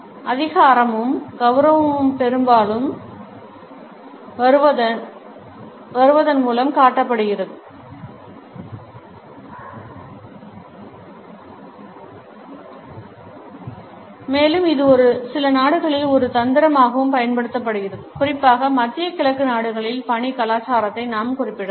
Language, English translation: Tamil, Power and dignity are often shown by arriving late and it is also used as a tactic in certain countries particularly we can refer to the work culture of the Middle Eastern countries